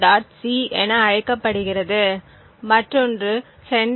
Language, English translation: Tamil, c the other one is the sender